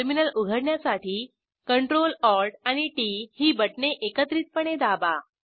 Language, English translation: Marathi, Now open the terminal by pressing CTRL + ALT and T keys simultaneosuly on your keyboard